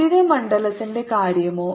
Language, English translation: Malayalam, how about the electric field